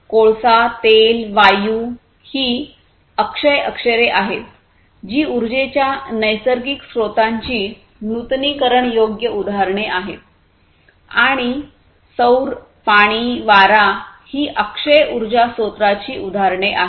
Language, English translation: Marathi, Coal, oil, gas etc are the non renewable examples of non renewable sources of natural in energy and then solar, water, wind etc are the examples of renewable sources of energy